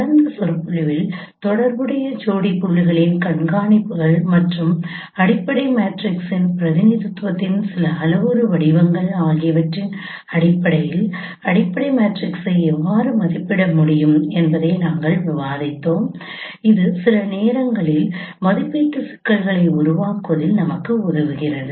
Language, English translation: Tamil, And in the last lecture we discussed how fundamental matrices could be estimated given the observations of corresponding pairs of points and also some parametric forms of representation of fundamental matrix which also sometimes helps us in formulating the estimation problem